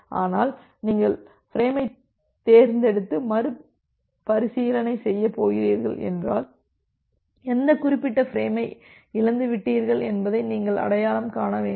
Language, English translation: Tamil, But, if you are going to selectively retransmitting the frame then you have to identify that which particular frame has been lost